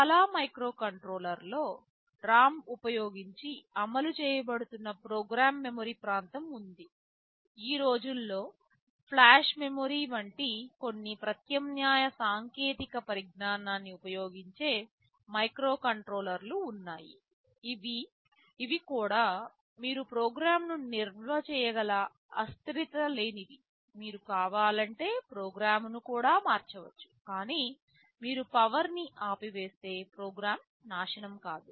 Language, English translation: Telugu, But nowadays there are microcontrollers which use some alternate technologies like flash memory, which is also non volatile where you can store some program, you could also change the program if you want, but if you switch off the power the program does not get destroyed